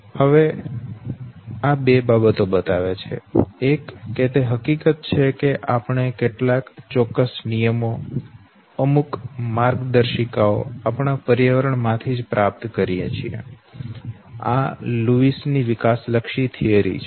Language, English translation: Gujarati, Now this shows two things, one the fact that we acquires certain know rules, certain guidelines from our environment, that is what is know, let me development theory